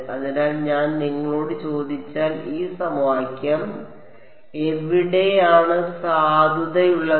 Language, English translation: Malayalam, So, if I ask you: where all is this equation valid